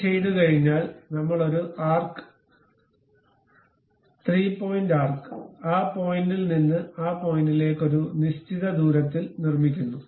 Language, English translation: Malayalam, Once it is done, we make a arc 3 point arc from that point to that point with certain radius